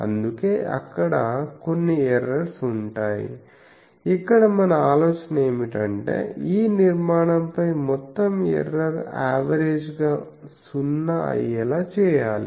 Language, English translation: Telugu, So, there will be errors now the, our idea is that can we make this error the average of this error go to 0 over the whole structure